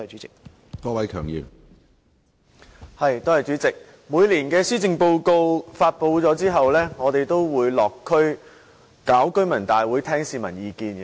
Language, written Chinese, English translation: Cantonese, 主席，每年的施政報告發布後，我們都會落區舉行居民大會，聽取市民意見。, President after the announcement of the policy address every year we would host residents meetings in the districts to gauge peoples views